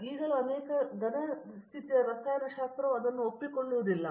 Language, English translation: Kannada, Even now many solid state chemistry will not agree with that